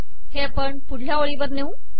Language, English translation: Marathi, Lets take this to the next line